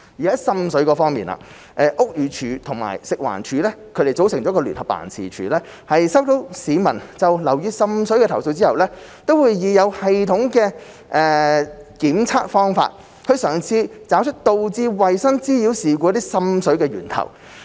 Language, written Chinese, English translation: Cantonese, 在滲水方面，屋宇署及食環署組成的聯合辦事處在收到市民就樓宇滲水的投訴後，會以有系統的檢測方法，嘗試找出導致衞生妨擾事故存在。, As regards water seepage upon receipt of complaints from the public on water seepage in a building the Joint Office JO set up by the Buildings Department and FEHD will seek to identify the existence of sanitary nuisance by means of systematic investigation